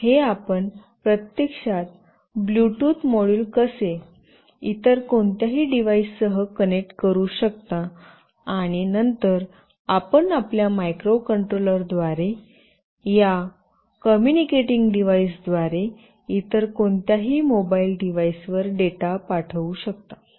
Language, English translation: Marathi, This is how you can actually connect a Bluetooth module with any other device, and then you can send the data through your microcontroller and through this communicating device to any other mobile device